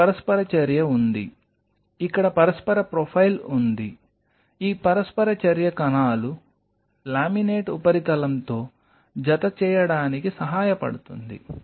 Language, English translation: Telugu, Here is the interaction, here is the interaction profile this interaction helps the cells to attach to the laminate surface